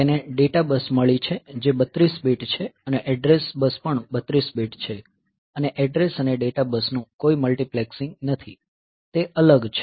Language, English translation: Gujarati, , in the sense that it has got the data bus which is 32 bit and the address bus is also 32 bit and these there is there is no multiplexing of address and data bus, so, they are separate